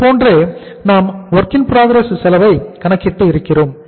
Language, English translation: Tamil, This is how we have calculated the WIP cost